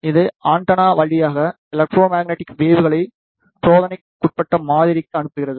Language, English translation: Tamil, It sends the electromagnetic waves through the antenna to the sample under test